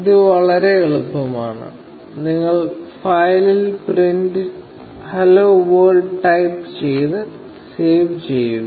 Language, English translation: Malayalam, This is just very easy; you just type print 'hello world' in the file, and save it